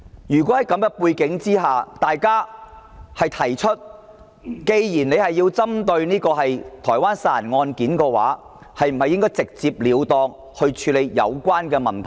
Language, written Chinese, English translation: Cantonese, 在這種背景下，大家會問：既然政府要針對台灣殺人案件，是否應該直截了當去處理有關問題？, Given this background one may ask Since the Government intends to solve the homicide case in Taiwan should it directly deal with the problem?